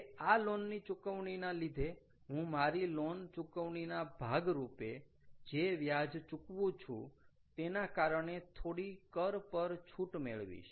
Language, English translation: Gujarati, now, out of this loan payment i will get some tax rebate because of the interest that i pay as part of my loan payment clear